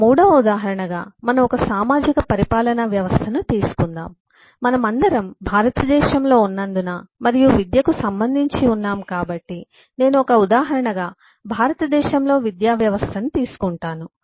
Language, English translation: Telugu, take a third example, which is kind of a social, administrative eh system and eh, since we all are in in india and related to education, and so I take an example of education system in india